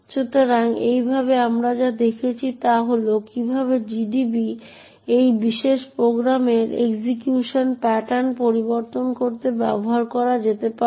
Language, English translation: Bengali, So, in this way what we have seen is that, we have seen how GDB can be used to actually change the execution pattern of this particular program